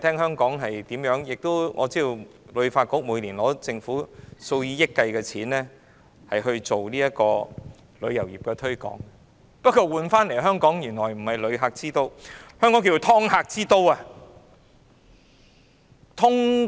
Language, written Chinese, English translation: Cantonese, 香港旅遊發展局每年獲政府數以億元計的撥款推廣旅遊業，換來的香港名聲並非旅客之都，而是"劏客"之都。, The Hong Kong Tourism Board HKTB spends thousands of millions of dollars to promote the tourism industry . But in return Hong Kong is not a tourism city but a rip - off city